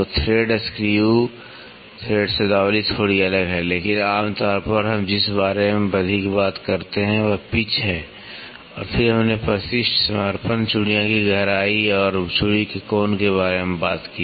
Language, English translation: Hindi, So, thread screw thread terminology is slightly different, but generally what we more talked about is the pitch and then we talked about addendum, dedendum, depth of thread and angle of thread